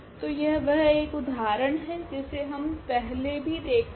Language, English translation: Hindi, So, this was the one example which we have already discussed before